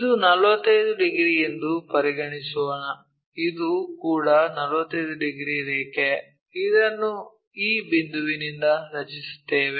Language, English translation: Kannada, So, if this is 45 degrees let us consider, this one also 45 degrees line, we will draw it from this point